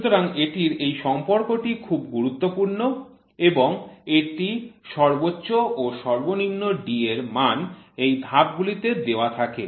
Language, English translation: Bengali, So, this is this relationship is very very important and these D max and min are these D which are given in the step